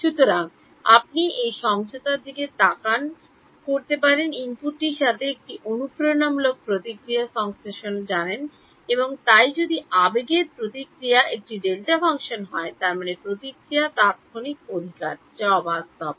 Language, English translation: Bengali, So, you can look at this convolution has also you know the convolution of an impulse response with the input right and so if the impulse response is a delta function; that means, the response is instantaneous right which is unrealistic